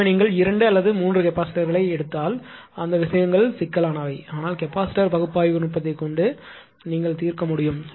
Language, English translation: Tamil, So, those things ah if you take 2 or 3 capacitors peaks which combination those things are complicated, but this is what one can ah solve the capacitor optimization analytical technique